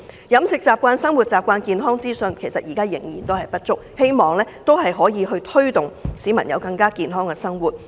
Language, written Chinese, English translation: Cantonese, 飲食習慣、生活習慣、健康資訊等現時仍然不足，我希望政府可以推動市民實踐健康生活。, Also there is not enough information on eating habits living habits and health . I hope the Government can work on promoting the message of healthy living to the people